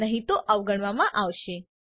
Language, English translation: Gujarati, Else it will be ignored